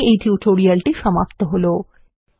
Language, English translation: Bengali, This concludes this tutorial